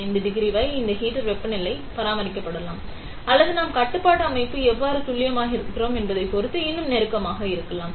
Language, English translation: Tamil, 5 degree this heaters temperature can be maintained or even closer depending on how accurate we are control system is